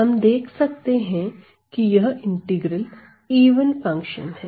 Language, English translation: Hindi, So, then we can see that this integral is an even function